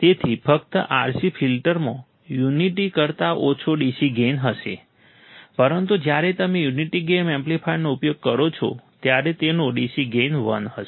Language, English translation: Gujarati, So, just RC filter will have DC gain of less than unity; but when you use a unity gain amplifier it will have a DC gain of one